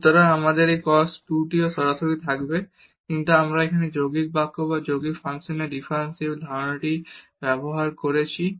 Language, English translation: Bengali, So, we will have this cos 2 t directly as well, but we used here the idea of this composite differentiation or the differentiation of composite function